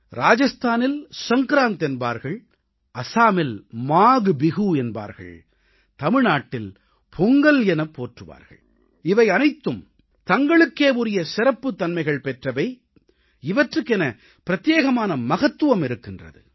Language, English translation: Tamil, In Rajasthan, it is called Sankrant, Maghbihu in Assam and Pongal in Tamil Nadu all these festivals are special in their own right and they have their own importance